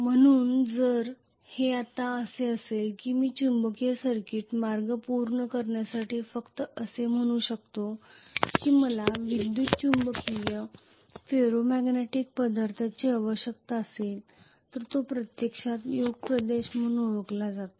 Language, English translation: Marathi, So if it is like this now I can say basically just to complete the magnetic circuit path I will need electromagnetic, ferromagnetic substance which is actually known as the Yoke region